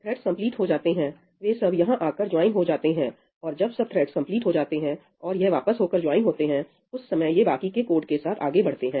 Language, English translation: Hindi, So, all the other threads, when they complete, they will come and join over here, and when all the other threads have completed, they have joined back, at that time it will proceed ahead again with the remaining code